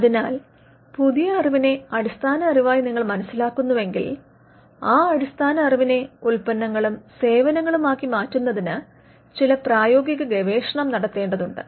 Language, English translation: Malayalam, So, if you understand the new knowledge as a basic knowledge that has to be some applied research that needs to be done for converting the basic knowledge into products and services